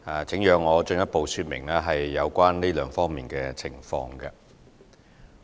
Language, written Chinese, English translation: Cantonese, 請讓我進一步說明有關這兩方面的情況。, Please allow me to provide a further update on these two aspects